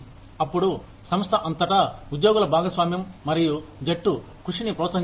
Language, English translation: Telugu, Then, the employee participation and teamwork are encouraged, throughout the organization